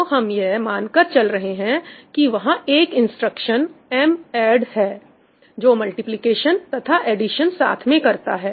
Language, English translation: Hindi, we are assuming there is an instruction ‘madd’ which does a multiplication and addition together